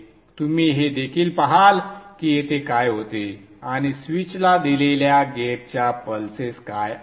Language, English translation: Marathi, You could also see what happens here and what is the gate pulses which are given to the switch